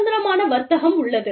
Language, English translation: Tamil, There is freer trade